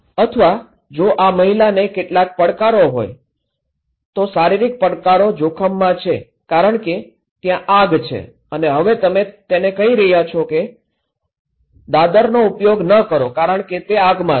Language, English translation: Gujarati, Or if this lady having some challenges, physical challenges is at risk because there is a fire and now you are saying to him that don’t use the staircase because it is in fire